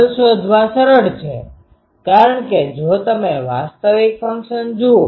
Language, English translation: Gujarati, Nulls are easy to find because if you see the actual function